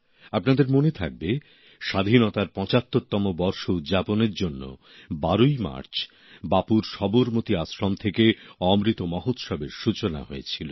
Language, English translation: Bengali, You may remember, to commemorate 75 years of Freedom, Amrit Mahotsav had commenced on the 12th of March from Bapu's Sabarmati Ashram